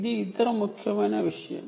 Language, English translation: Telugu, ok, thats other important thing